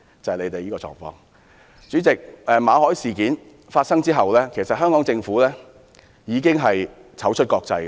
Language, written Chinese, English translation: Cantonese, 代理主席，馬凱事件發生後，香港政府已經"醜出國際"。, Deputy President the Hong Kong Government has made itself a fool before the world in the MALLET incident